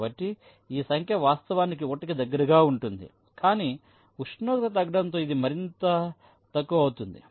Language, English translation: Telugu, this number is actually goes to one, but as temperature decreases this will become less and less